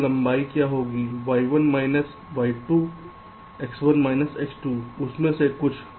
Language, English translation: Hindi, so what do we total length